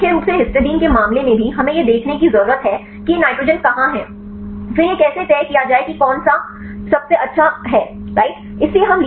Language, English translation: Hindi, So, mainly in the case of the histidines also we need to see where are these nitrogens, then how to decide which one is a best right